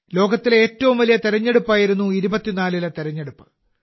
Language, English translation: Malayalam, The 2024 elections were the biggest elections in the world